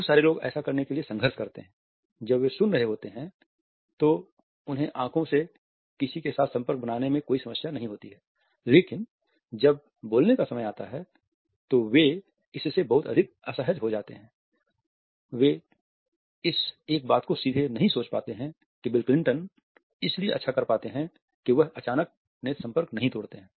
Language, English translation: Hindi, A lot of people struggle to do this; when they are listening they have no problem looking someone in the eyes, but when it comes time to speak they get very very very uncomfortable with it, they cannot think straight the one of the things that bill Clinton does very well is when he breaks eye contact is not an abrupt thing